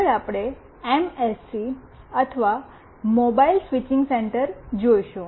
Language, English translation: Gujarati, Next we see this MSC or Mobile Switching Center